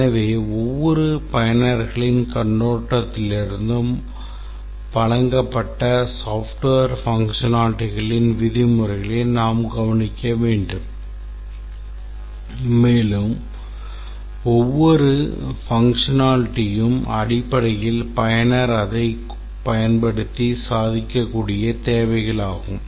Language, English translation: Tamil, So, from each user's perspective, we have to look at the software in terms of the facilities provided and each facility is basically some meaningful work that the user can accomplish using that